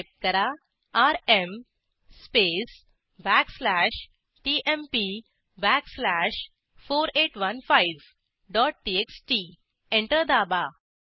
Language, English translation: Marathi, Type rm space backslash tmp backslash 4815 dot txt Press Enter